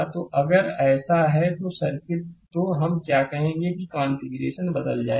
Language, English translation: Hindi, So, if you do so, then circuit your what you call configuration will change